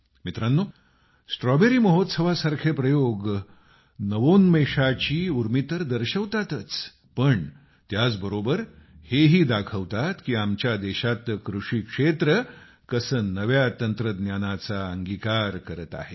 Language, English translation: Marathi, experiments like the Strawberry Festival not only demonstrate the spirit of Innovation ; they also demonstrate the manner in which the agricultural sector of our country is adopting new technologies